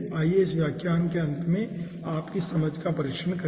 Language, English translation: Hindi, okay, ah, let us test your understanding at the end of this lecture